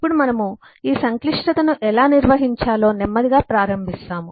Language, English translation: Telugu, so now we slowly start getting into how to handle how to manage this complexity